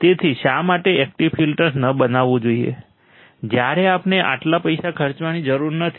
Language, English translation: Gujarati, So, why not to make up active filters when, we do not have to spend that much money